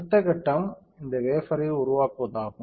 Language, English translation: Tamil, Next step would be to develop this wafer